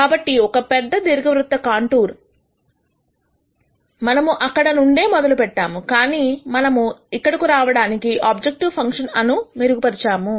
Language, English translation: Telugu, So, this is a big elliptical contour from where we started, but we have improved the objective function to come here